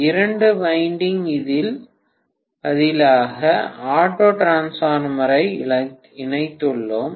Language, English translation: Tamil, How to connect two wind transformer as an auto transformer